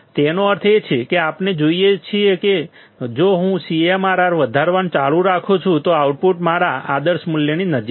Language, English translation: Gujarati, That means, we can see that, if I keep on increasing CMRR, the output is close to my ideal value